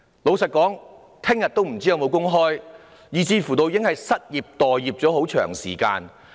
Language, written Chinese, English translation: Cantonese, 老實說，他們不知明天是否還有工開，有些人甚至已經失業、待業了很長時間。, Frankly speaking they do not know if there are jobs for them tomorrow . Some of them have even been unemployed for a long time